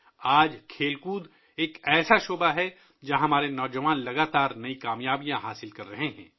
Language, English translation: Urdu, Today, sports is one area where our youth are continuously achieving new successes